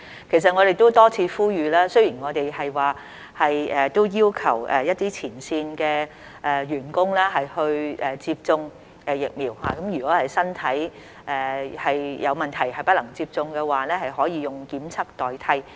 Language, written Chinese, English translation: Cantonese, 其實，我們都多次呼籲，雖然我們都要求一些前線員工接種疫苗，如果是身體有問題而不能接種的話，可以用檢測代替。, In fact we have made an appeal repeatedly and while we have required some frontline personnel to be vaccinated those who are physically unfit to receive vaccination may undergo testing in lieu of vaccination